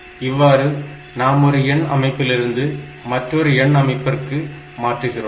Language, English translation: Tamil, So, this way we can convert from one number system to another number system